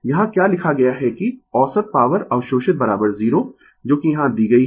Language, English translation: Hindi, What it has been written here that, the average power absorbed is equal to 0 that is here it is given